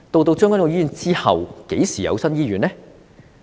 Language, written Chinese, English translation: Cantonese, 在將軍澳醫院之後，何時有新醫院呢？, Are there any new hospitals after the commissioning of the Tseung Kwan O Hospital?